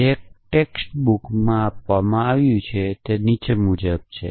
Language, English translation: Gujarati, So, an example which is given in one of the text book is as follows